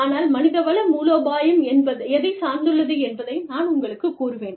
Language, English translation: Tamil, But, I will just tell you, what human resource strategy is, dependent upon